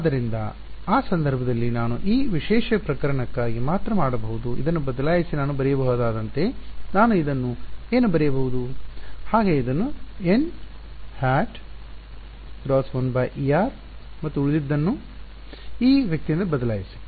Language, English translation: Kannada, So, in that case I can replace this for this special case only for this special case what can I write this as I can write this as n cross 1 by epsilon r and replace the rest from this guy